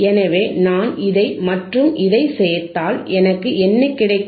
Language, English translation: Tamil, So, I if I join this one, and I join this one, what I will I have